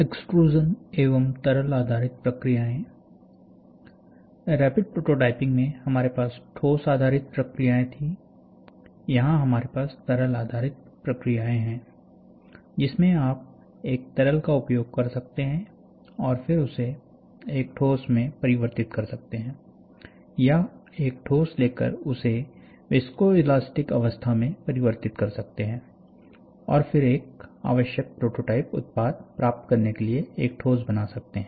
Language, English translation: Hindi, So, in Rapid prototyping, we had solid processes in, then we have liquid based processes, where in which you can use a liquid and then converted into a solid, or you take a solid converted into a viscoelastic state, and then make a solid to get the required prototype output